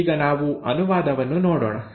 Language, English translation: Kannada, So let us look at translation